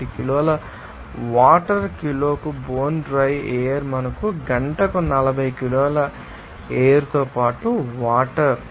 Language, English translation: Telugu, 01 kg of water per kg of bone dry air for us water along with air with that 40 kg per hour